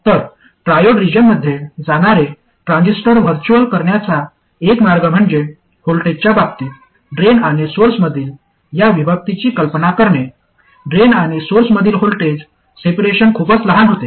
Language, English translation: Marathi, So one way to visualize the transistor going into triode region is to imagine this separation between the drain and source in terms of voltage of course, the voltage separation between drain and source becoming too small